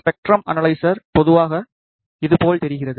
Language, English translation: Tamil, The spectrum analyzer typically looks like this